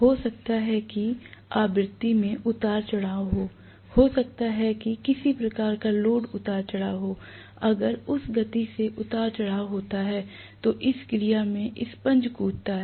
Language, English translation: Hindi, Maybe there is a frequency fluctuation, maybe there is some kind of load fluctuation, if the speed fluctuates at that point damper jumps into action